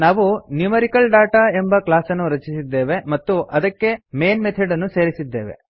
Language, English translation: Kannada, We have created a class NumericalData and added the main method to it